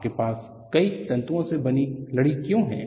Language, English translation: Hindi, Why you have cables made of several strands